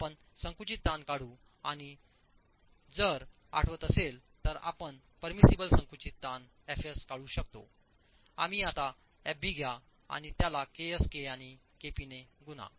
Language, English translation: Marathi, You make an estimate of the compressive stress and if you remember to arrive at the permissible compressive stresses, f s, we took fb and multiplied fb by k a, kp and k s